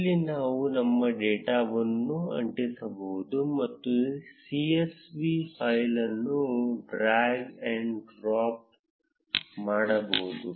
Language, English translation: Kannada, Here we can either paste our data or drag and drop a csv file